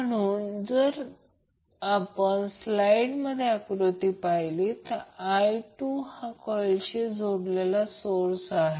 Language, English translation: Marathi, So if you see the figure in the slide now I2 is the current source connected to the coil 2